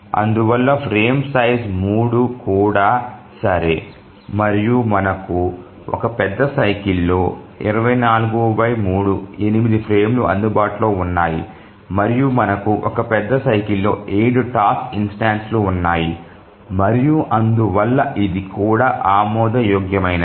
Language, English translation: Telugu, So even frame size 3 is okay and we have 24 by 3 which is 8 frames available in one major cycle and we have 7 task instances in a major cycle and therefore even this is acceptable